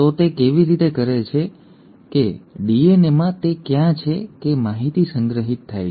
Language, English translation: Gujarati, So how is it that, where is it in a DNA that the information is stored